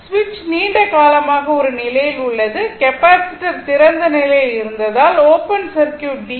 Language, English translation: Tamil, Switch has been in a position for long time the capacitor was open circuited DC as it was in the long position